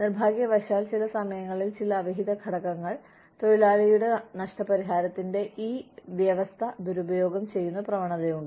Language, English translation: Malayalam, Unfortunately, some unscrupulous elements, at some time, may tend to misuse this provision of worker